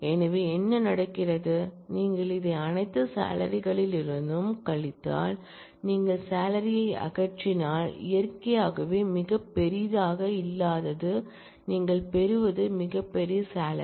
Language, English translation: Tamil, So, what happens, if you subtract that is from this if you subtract this from all salaries, if you remove the salaries, that are not largest naturally what you get is a largest salary